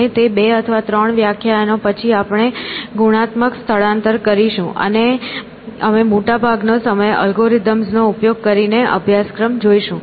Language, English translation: Gujarati, And, after those 2 or 3 lectures we will have a qualitative shift, and we will spend most of the time using algorithms, using the syllabus which I will convey to you essentially